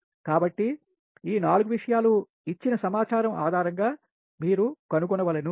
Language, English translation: Telugu, so this four thing you have to determine based on the given data